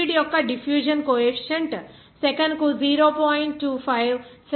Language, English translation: Telugu, If the diffusion coefficient of liquid is 0